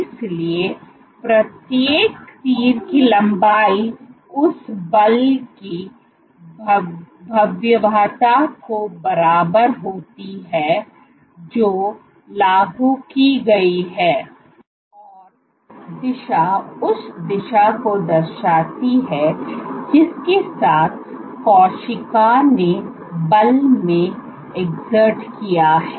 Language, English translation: Hindi, So, length of each arrow is equivalent to the magnitude of the force that has been exerted, and the direction depicts the direction along which the cell has exerted in the force